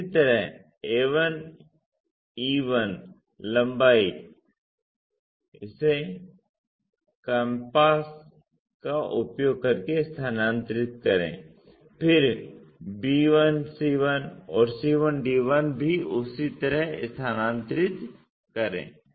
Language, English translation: Hindi, Similarly, a 1 e 1 length transfer it by using compass, then b 1 c 1 and c 1 d 1 also transferred in the same way